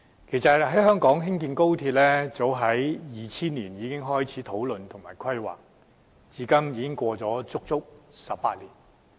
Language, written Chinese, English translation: Cantonese, 其實，早於2000年，香港便開始討論和規劃高鐵，至今已超過足足18年。, In fact it has been more than 18 years since Hong Kong first started its discussion and planning on the construction of a high - speed rail back in 2000